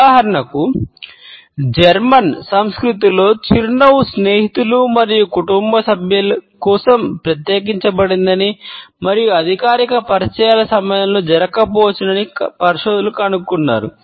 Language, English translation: Telugu, For example, researchers have found out that in German culture a smiling is reserved for friends and family and may not occur during formal introductions